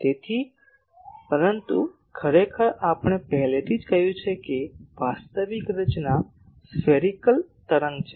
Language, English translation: Gujarati, So, but actually we have already said that the actual structure is spherical wave